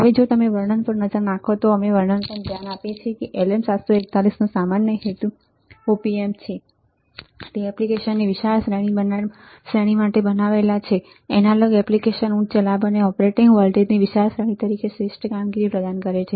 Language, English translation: Gujarati, Now, if you look at the description we look at the description what we see that LM 741 series are general purpose op amp it is intended for wide range of applications analogue applications high gain and wide range of operating voltage provides superior performance as an integrator summer or as a general feedback applications right